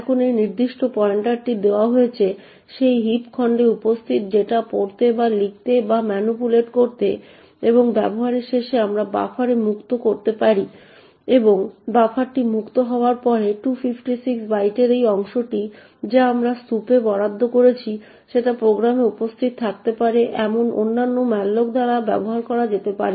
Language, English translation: Bengali, Now given this particular pointer, can read or write or manipulate data present in that heap chunk and at the end of usage we can then free to the buffer and after the buffer is freed that chunk of 256 bytes which we have just allocated in the heap can be used by other malloc which may be present in the program